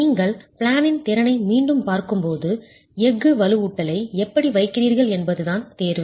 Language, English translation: Tamil, When you are looking at the out of plane capacity, again the choice is how you place the steel reinforcement